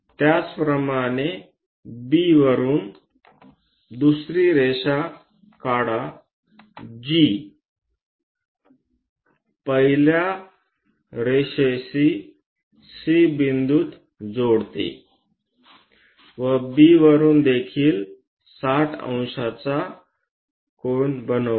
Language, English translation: Marathi, Similarly from B draw another line which joins the first line at C point, and from B this also makes 60 degrees